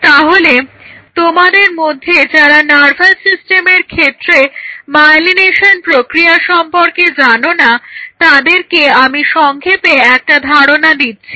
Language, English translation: Bengali, So, those of you who are not aware of the myelination process in the nervous system just to give you a brief idea